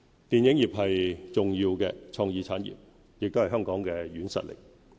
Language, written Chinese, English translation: Cantonese, 電影業是重要的創意產業，也是香港的軟實力。, The film industry is a key creative industry that reflects Hong Kongs cultural soft power